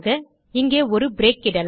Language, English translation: Tamil, Lets put a break there